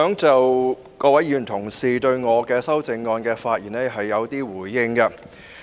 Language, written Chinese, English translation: Cantonese, 就各位議員同事對我的修正案的發言，我想作一些回應。, I wish to give some responses to Honourable Members speeches on my amendments